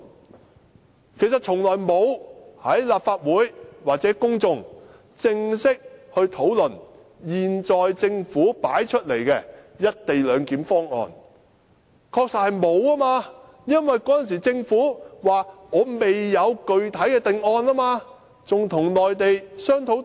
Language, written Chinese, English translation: Cantonese, 其實，政府從來沒有與立法會或公眾作正式討論，它確實沒有討論過現時提出來的"一地兩檢"方案，因為當時政府表示未有具體定案，仍與內地商討中。, In fact the Government has never held any formal discussion with the Legislative Council or the public on the co - location arrangement because it said that discussion with the Mainland was underway with no finalized option yet